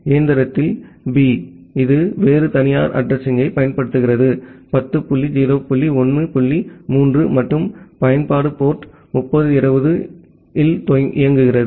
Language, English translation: Tamil, In machine B, it is using a different private address 10 dot 0 dot 1 dot 3 and the application is running at port 3020